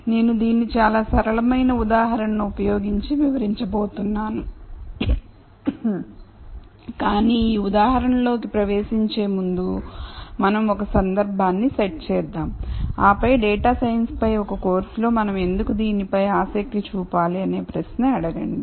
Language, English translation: Telugu, And I am going to explain this using a very simple example, but before we dive into this example let us set some context and then ask the question as to why we should be interested in this in a course on data science